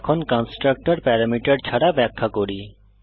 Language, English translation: Bengali, Now let us define a constructor with no parameter